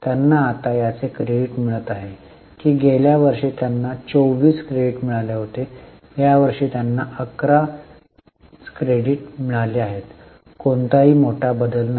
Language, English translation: Marathi, That last year they have got credit of 24 this year they have got credit of 11, no major change